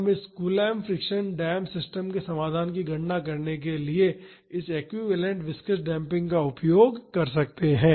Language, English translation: Hindi, We can use this equivalent viscous damping to calculate the solution of this coulomb friction dam system approximately